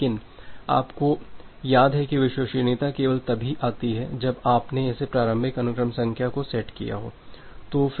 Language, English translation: Hindi, But, you remember that the reliability only comes that when you have set up this initial sequence number